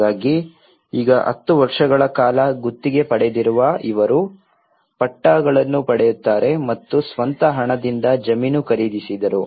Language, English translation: Kannada, So now, these people were on a lease for 10 years only then they will get the pattas and these people who bought the land with their own money